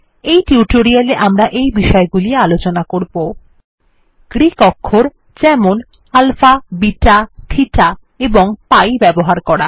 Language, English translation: Bengali, In this tutorial, we will cover the following topics: Using Greek characters like alpha, beta, theta and pi Using Brackets